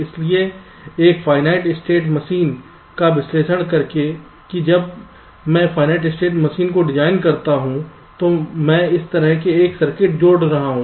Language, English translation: Hindi, so by analyzing a finite state machine, the well, when i design my finite state machine, i will be adding a circuit like this